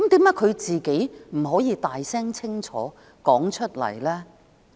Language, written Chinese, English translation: Cantonese, 為何她不可以大聲清楚表明？, Why cant she make this loud and clear?